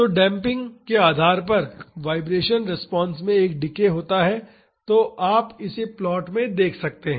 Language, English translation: Hindi, So, depending upon the damping, there is a decay in the vibration response; so, you can see that in the plot